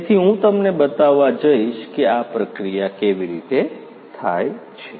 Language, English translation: Gujarati, So, I am going to show you how this processing is done